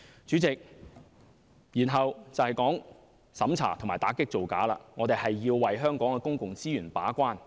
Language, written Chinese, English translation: Cantonese, 主席，至於審查和打擊造假，我們要為香港的公共資源把關。, President as to the vetting and approval power and the combat of immigration frauds we should play the role as the gatekeeper for Hong Kongs public resources